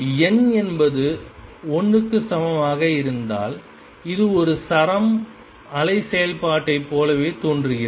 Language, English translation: Tamil, For n equal to 1 it looks exactly the same as a string wave function